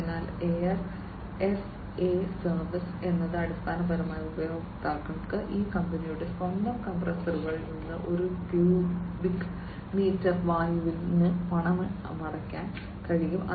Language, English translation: Malayalam, So, air as a service is basically where users are able to pay per cubic meter of air from these companies own compressors, right